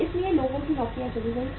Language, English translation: Hindi, So people lost jobs